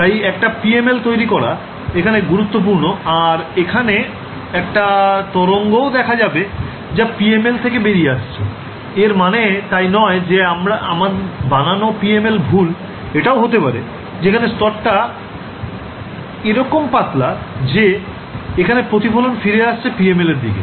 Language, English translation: Bengali, So, it is important to understand supposing I code up perfectly a PML and I find that there is a wave still coming from the PML its it could it, its not necessary that my coding was incorrect it may be just that the layer thickness is so, small that I am getting a reflection from the backend of the PML right